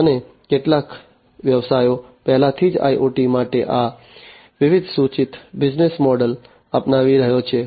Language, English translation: Gujarati, And some of the businesses are already adopting these different proposed business models for IoT